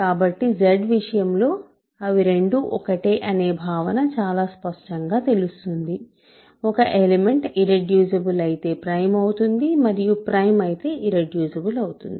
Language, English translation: Telugu, So, in the case of Z, it is very clear that they are both the same concept; an element is irreducible if and only if it is prime